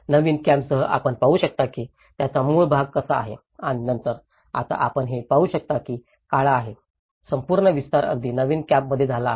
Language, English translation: Marathi, Even in the new camp, you can see this is how the original part of it and then now today what you can see is a black, the whole expansions have taken place even in the new camp